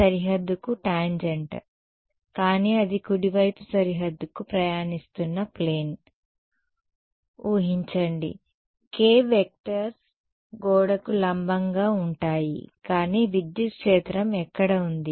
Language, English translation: Telugu, E y is tangent to the boundary, but imagine a plane where that is travelling towards to the right boundary the k vectors going to be perpendicular to the wall, but where was the electric field